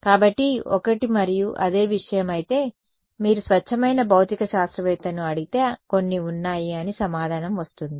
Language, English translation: Telugu, So, one and the same thing although; if you ask a pure physicist then there are some